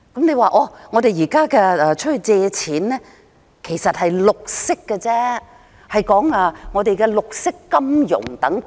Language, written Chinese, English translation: Cantonese, 你說現在向外借錢，其實是為綠色項目融資，說的是綠色金融等。, The Government said that the borrowings are secured actually to finance the green projects and by this the Government is referring to green finance and so on